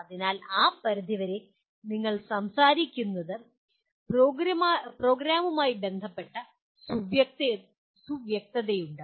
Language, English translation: Malayalam, So to that extent, there is specificity with respect to the program that you are talking about